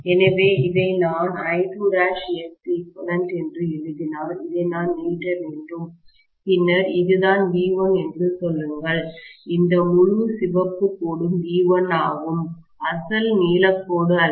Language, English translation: Tamil, So, once I write this as I2 dash multiplied by X equivalent, then I have to just extend this, and then say this is what is V1, this entire red line is V1, not the original blue line